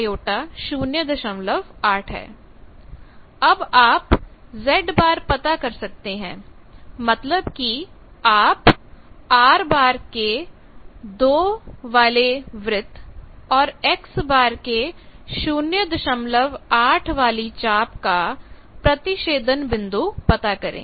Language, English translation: Hindi, You can know locate Z bar that means, find the intersection of R bar is equal to 2 circle and X bar is equal to 0